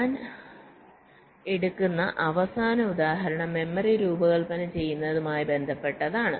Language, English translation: Malayalam, ok, the last example that i take here is with respect to designing memory